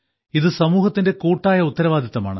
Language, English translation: Malayalam, It is the responsibility of the whole society